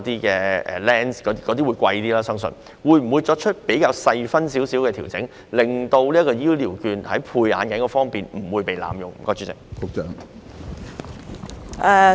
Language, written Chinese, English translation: Cantonese, 由於後者較為昂貴，當局會否作出較細緻的調整，令長者醫療券不會在配置眼鏡方面被濫用？, As the latter is more expensive will the authorities make finer adjustments to the amount so that the provision of glasses will not result in the abuse of elderly health care vouchers?